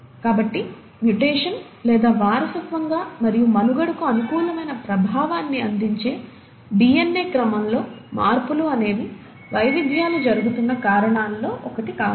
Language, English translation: Telugu, So mutation, or changes in DNA sequences which are heritable and which do provide favourable effect on to survival could be one of the reasons by which the variations are happening